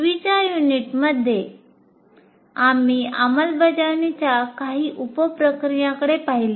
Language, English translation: Marathi, And in the earlier unit, we looked at some of the sub processes of implement phase